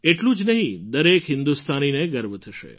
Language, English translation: Gujarati, Not just that, every Indian will feel proud